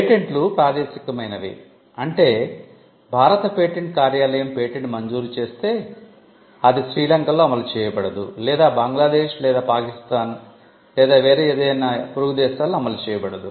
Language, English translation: Telugu, Patents are territorial, in the sense that if the Indian patent office grants a patent, it is not enforceable in Sri Lanka or Bangladesh or Pakistan or any of the neighboring countries